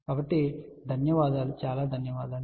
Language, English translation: Telugu, So, with that thank you very much